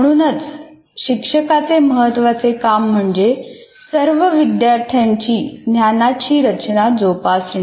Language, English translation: Marathi, So the main task of the teacher should be how do I foster the construction of the knowledge of all learners